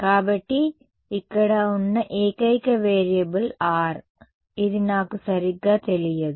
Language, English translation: Telugu, So, this only variable here is R, which I do not know right